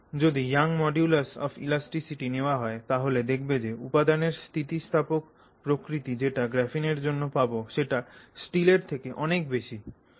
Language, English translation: Bengali, So, if you take Young's modulus of elasticity, so how elastic that material is, you find that you know graphene is an order of magnitude better than steel